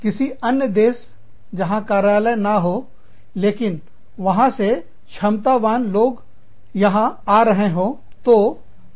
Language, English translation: Hindi, Any other country, where there is no office, where, but there are competent people, who are coming here